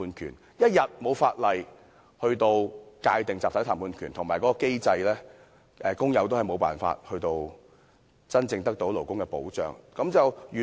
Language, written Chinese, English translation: Cantonese, 所以，香港一日未有法例及機制界定集體談判權，工友也是無法真正得到勞工保障。, Therefore so long as there is no legislation and mechanism defining the right to collective bargaining in Hong Kong it would remain impossible for workers to be truly afforded labour protection